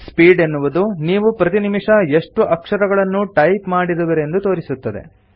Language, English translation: Kannada, Speed indicates the number of characters that you can type per minute